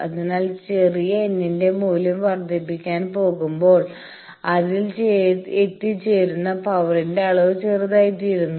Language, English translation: Malayalam, So, as we go on increasing the value of the small n, the amount of power that is reaching that is becoming smaller and smaller